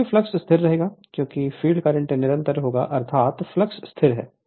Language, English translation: Hindi, Therefore, flux will remain constant because field current you will constant means the flux is constant